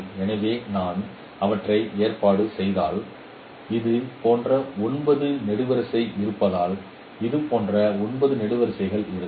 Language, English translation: Tamil, So if I arrange them there are nine such columns